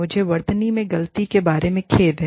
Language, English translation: Hindi, I am sorry, about the mistake in spellings